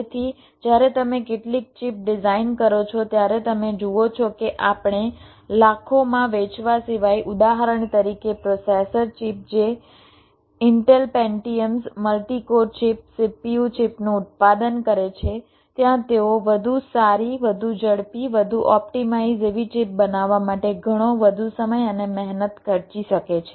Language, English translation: Gujarati, so you see, ah, when you design some chips which we except to cell in millions, for example the processor chips which intel manufactures, the pentiums, the multicore chips, cpu chips they are, they can effort to spend lot more time and effort in order to create a chip which is much better, much faster, much optimize